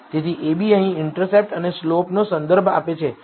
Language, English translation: Gujarati, So, ab here refers to the intercept and slope